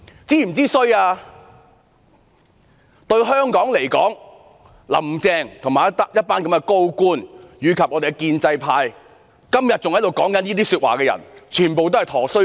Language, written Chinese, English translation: Cantonese, 主席，對香港來說，"林鄭"、一眾高官、建制派及到今天還在說這些話的人全也是"佗衰家"。, President Carrie LAM the team of senior officials the pro - establishment camp and those who are still making such remarks today are all walking disasters to Hong Kong